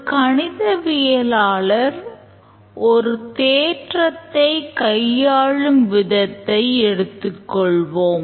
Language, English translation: Tamil, Just think of the way the mathematician proves theorem